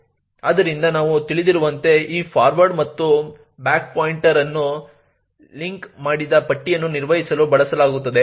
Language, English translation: Kannada, So, as we know this forward and back pointer is used for managing the linked list